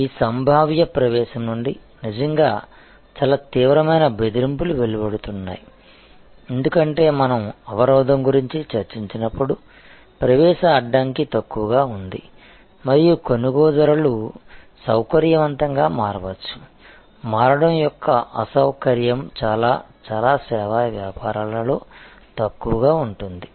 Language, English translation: Telugu, The really very intense threats emanate from this potential entrance, because as we discussed the barrier, entry barrier is low and buyers can easily switch the convenient, inconvenience of switching is rather low in many, many service businesses